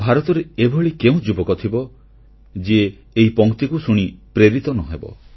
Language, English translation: Odia, Where will you find a young man in India who will not be inspired listening to these lines